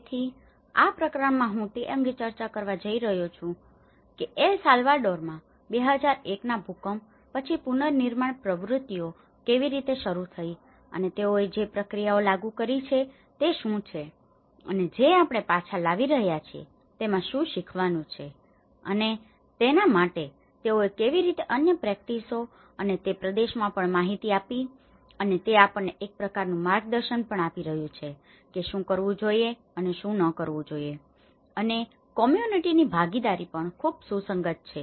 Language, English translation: Gujarati, So, this is a chapter, I am going to discuss on how after 2001 earthquake in El Salvador, how the reconstruction activities have started and what are the processes that they have implemented and what are the learnings we are taking back for that how it has informed the other practices also and in that region and it is also giving us some kind of guidance what to do and what not to do and how community participation is also very relevant